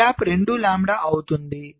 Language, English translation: Telugu, separation is one lambda